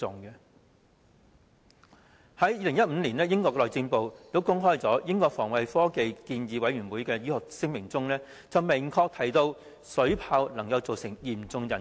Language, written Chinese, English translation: Cantonese, 在2015年，英國內政部公開英國防衞科技建議委員會的醫學聲明，明確指出水炮能對人體造成嚴重損害。, In 2015 the Home Office of the United Kingdom made public the medical statement of the Defence Scientific Advisory Council which clearly states that the firing of water cannons may cause serious harms to the human body